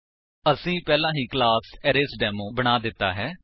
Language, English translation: Punjabi, We have already created a class ArraysDemo